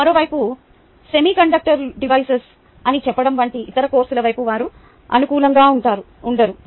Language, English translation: Telugu, on the other hand, they are not favorably disposed towards some other course, such as, say, semi conducted devices